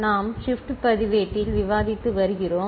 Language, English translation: Tamil, We have been discussing Shift Register